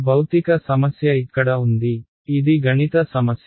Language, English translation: Telugu, The physical problem was here this is a math problem